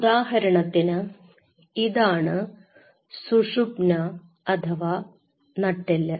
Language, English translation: Malayalam, So, say for example, this is the spinal